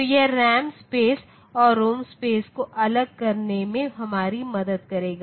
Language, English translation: Hindi, So, this will help us in distinguishing the RAM space and ROM space